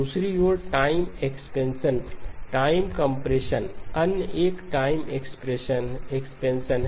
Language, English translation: Hindi, On the other hand, the time expansion, time compression, the other one is time expansion